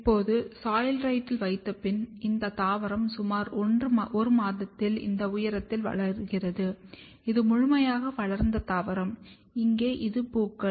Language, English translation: Tamil, Now, once on soilrite this plant grows of this height in around 1 month and this is my fully grown plant which you can see here it has silliques, flowers